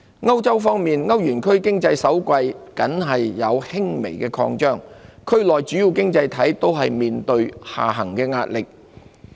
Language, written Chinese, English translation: Cantonese, 歐洲方面，歐元區經濟首季僅有輕微擴張，區內主要經濟體都面對下行壓力。, In Europe the Eurozone economy expanded only modestly in the first quarter with key economies in the region all under downside pressure